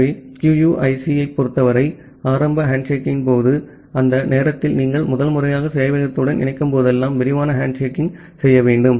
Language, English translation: Tamil, So, in case of QUIC, during the initial handshaking, whenever you are connecting to the server for the first time during that time you have to do a detailed handshaking